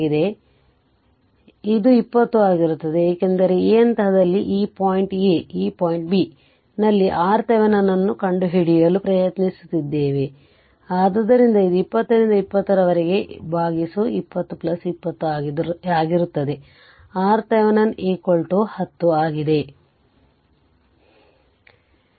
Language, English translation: Kannada, So, it will be 20 because at this point say, this is point A, this is point B, we are trying to find out R Thevenin, so it will be 20 into 20 by 20 plus 20 this is your R thevenin you have to find out